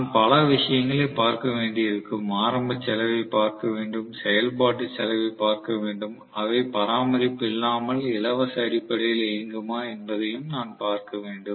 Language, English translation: Tamil, I will have to look at several things, I have to look at initial cost, I have to look at operational cost, I have to look at whether they will run on a maintenance free basis